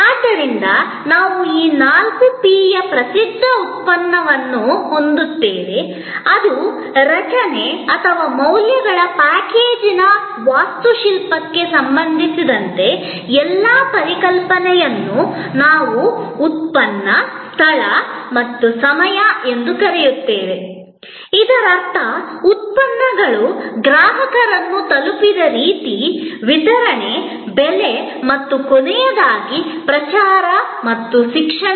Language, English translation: Kannada, So, we had this four P’s famous product, which was all the concepts related to structuring or the architecture of the package of values, which we call product, Place and Time, which meant the way products reached the consumer, the Distribution, Price and lastly Promotion and Education